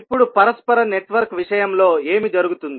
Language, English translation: Telugu, Now, what will happen in case of reciprocal network